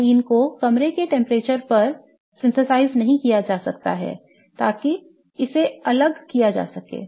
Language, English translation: Hindi, Cyclobutodine cannot be synthesized at room temperature such that it can be isolated